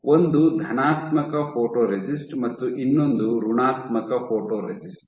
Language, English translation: Kannada, One is the positive photoresist and other is the negative photoresist